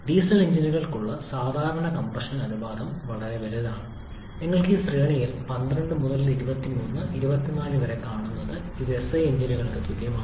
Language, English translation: Malayalam, Typical compression ratio for diesel engines is much larger, you can see the range is 12 to 23, 24 in that range which is well above the same for SI engines